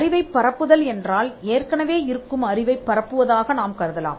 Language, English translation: Tamil, A disseminate the knowledge, we can assume that disseminate the knowledge that is already there